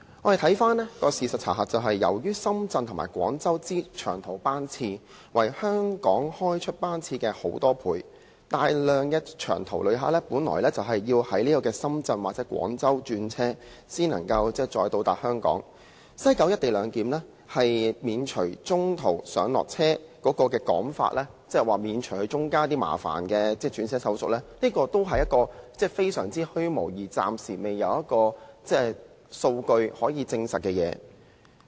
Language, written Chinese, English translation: Cantonese, 但是，事實的查核是，由於深圳和廣州的長途班次，是香港開出班次的很多倍，大量長途旅客本應在深圳或廣州轉車，才可以抵達香港，而西九"一地兩檢"免除中途上落車的說法，即可以免除中間一些麻煩的轉車手續，這其實也是一個相當虛無，而且暫時沒有數據證實的說法。, Nevertheless the fact we see after checking is that since the long - haul trips to and from Shenzhen and Guangzhou greatly outnumber those departing Hong Kong large numbers of long - haul visitors will have to interchange at Shenzhen or Guangzhou before arriving at Hong Kong . The remark that the co - location arrangement at West Kowloon Station can spare passengers some bothersome interchange procedures en route is rather vague and unsubstantiated by data